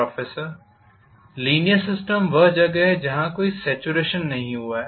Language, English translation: Hindi, Proffessor:The linear system is where there is no saturation that has happened